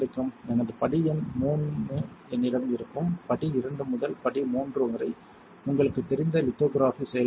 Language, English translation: Tamil, I will have my step number III you know from step II to step III this is the lithography process you got it easy right